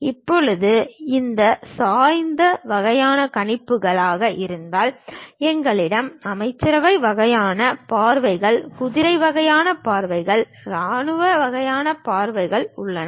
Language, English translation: Tamil, Similarly if it is oblique kind of projections, we have cabinet kind of views, cavalier kind of views, military kind of views we have